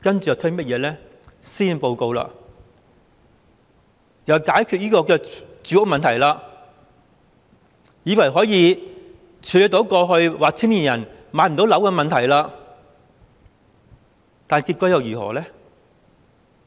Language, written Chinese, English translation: Cantonese, 接着，施政報告又推出解決住屋問題的措施，以為可以處理青年人過去說無法置業的問題，但結果又如何呢？, Afterwards the Policy Address introduced measures to tackle the housing problem with the false belief that they could deal with the previously raised problem of young people being unable to afford a home . But what was the result?